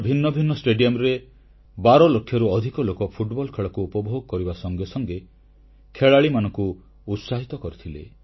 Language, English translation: Odia, More than 12 lakh enthusiasts enjoyed the romance of Football matches in various stadia across the country and boosted the morale of the young players